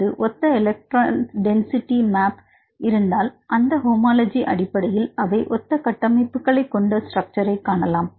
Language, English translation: Tamil, Because that is based on homology, if there are similar electron density maps, they can see that they may have similar structures